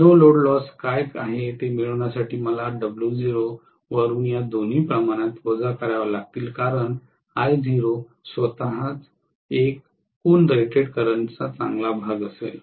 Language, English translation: Marathi, I have to subtract both these quantities from W naught to get what is the no load loss because I naught itself will be a good chunk of the total rated current